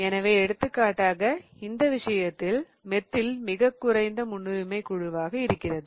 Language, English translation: Tamil, So, for example in this case, methyl was the least priority group